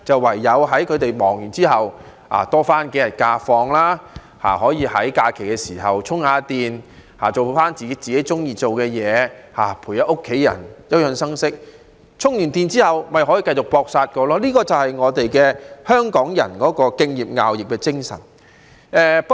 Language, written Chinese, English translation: Cantonese, 唯有在他們忙碌過後可以多放數天假期，在假期稍作充電，做自己喜歡做的事，陪伴家人，休養生息，以便充電後繼續"搏殺"，而這便是香港人敬業樂業的精神。, The only thing we can do is to give them a few more holidays so that they can recharge during the holidays after toiling hard . They can do whatever they like spend time with their family and rest and recuperate to regain energy for the hard work ahead . Respecting and loving ones job is the spirit of Hong Kong people